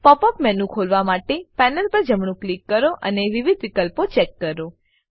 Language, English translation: Gujarati, Right click on the panel to open the Pop up menu and check the various options